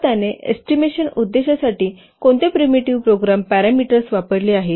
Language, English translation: Marathi, So, what primitive program parameters he has used for the estimation purpose